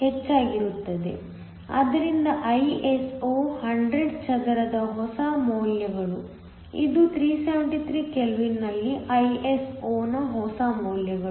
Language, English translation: Kannada, So, The new values of Iso 100 square so, the new values of Iso at 373 kelvin